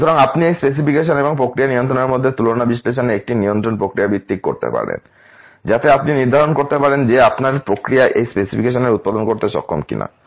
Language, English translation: Bengali, So, you can have based on a control process in analysis of comparison between this specifications and the process control, so that you can determine whether your process is capable of producing these specification